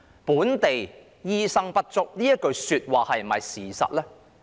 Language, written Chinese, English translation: Cantonese, "本地醫生不足"這句話是否事實呢？, Is it true that there is a shortage of local doctors?